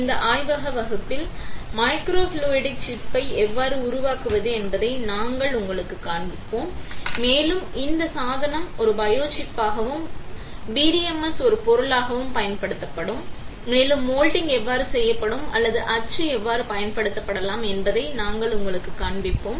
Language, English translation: Tamil, In this lab class we will show it to you how to fabricate the microfluidic chip and this device will be used for as a biochip and with PDMS as a material and also we will show you how the moulding will work or how we can use mould for creating channels in PDMS